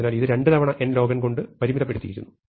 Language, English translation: Malayalam, So, this is bounded by 2 times n log n